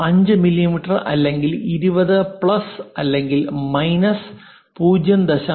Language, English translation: Malayalam, 5 mm or perhaps something like 20 plus or minus 0